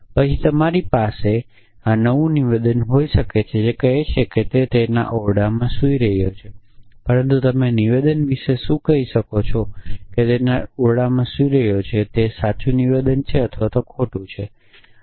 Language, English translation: Gujarati, And then you can have new statement which says he is sleeping in his room, but what can you say about the statement may be he is sleeping in his room is that the true statement or a false statement